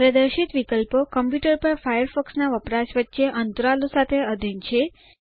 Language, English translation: Gujarati, The displayed options is subject to the intervals between the usage of Firefox on that computer